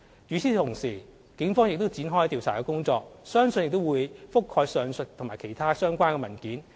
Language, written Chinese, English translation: Cantonese, 與此同時，警方亦已展開調查工作，相信亦會覆蓋上述及其他相關的文件。, At the same time the Police have commenced their investigation and it is believed that the investigation will also cover the above and other relevant documents